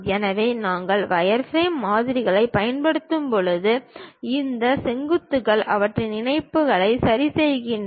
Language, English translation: Tamil, So, when we are using wireframe models, these vertices adjust their links